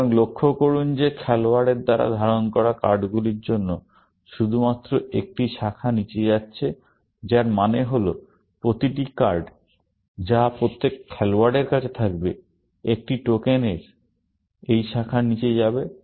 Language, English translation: Bengali, So, notice that there is only one branch going down for the cards being held by players, which means that every card that every player holds, a token will go down this branch